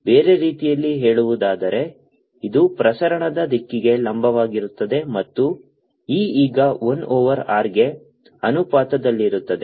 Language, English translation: Kannada, in another words, it is perpendicular to the direction of propagation and e will be proportional to one over r